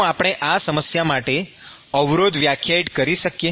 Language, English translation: Gujarati, Can we define resistance for this problem